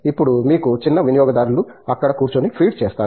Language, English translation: Telugu, Now, you would have smaller consumers sitting there and feeding so